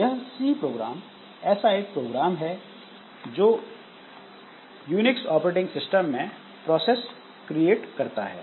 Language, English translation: Hindi, So, this is one program that creates processes in Unix operating system